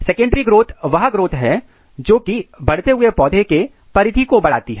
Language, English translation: Hindi, Secondary growth is nothing, it is a growth which occurs to increase the diameter of a growing plant